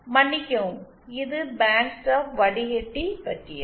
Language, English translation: Tamil, I beg your pardon, this was about band stop filter